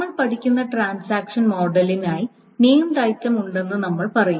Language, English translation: Malayalam, So for the transaction model that we will study, we will just say that there are named items